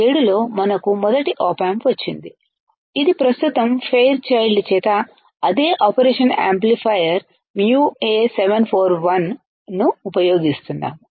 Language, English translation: Telugu, Then in 1967, 1967 we got the first op amp which looked like this which currently also we are using the same operation amplifier mu A741 by Fairchild by Fairchild